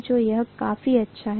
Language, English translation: Hindi, So it is good enough, right